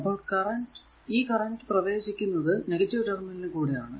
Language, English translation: Malayalam, Because it is this current entering here it is the minus terminal